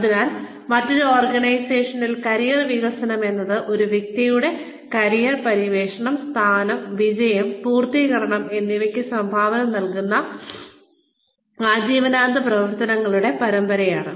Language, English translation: Malayalam, So, in a different organization, career development is the lifelong series of activities, that contribute to a person's career exploration, establishment, success and fulfilment